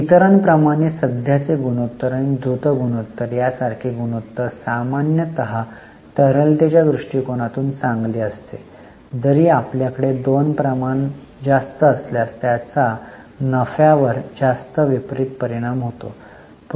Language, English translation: Marathi, For other ratios like current and quick ratio, higher ratio is normally good from liquidity viewpoint, although it will have a negative impact on profitability